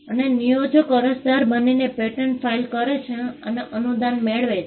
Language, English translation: Gujarati, And the employer becomes the applicant and files the patent and gets a grant